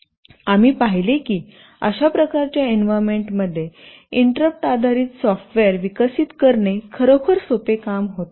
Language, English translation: Marathi, We saw that it was really a very simple task for developing interrupt based software in this kind of environment